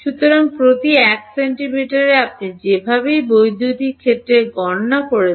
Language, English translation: Bengali, So, every 1 centimeter you are anyway calculating the electric field